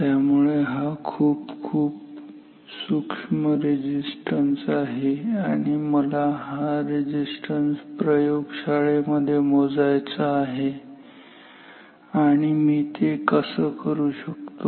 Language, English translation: Marathi, So, very small resistance and I want to measure this resistance in a lab and how do I do that